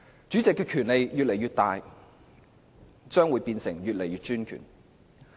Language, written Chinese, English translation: Cantonese, 主席權力越大，便越專權。, With greater powers the President will become more dictatorial